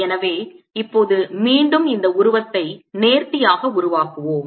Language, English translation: Tamil, so let's now again make this figure neatly